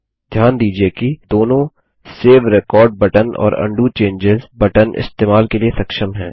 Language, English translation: Hindi, Notice that both the Save record button and the Undo changes button are enabled for use